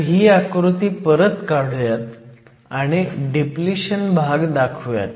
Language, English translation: Marathi, So, let me redraw this diagram and mark the depletion region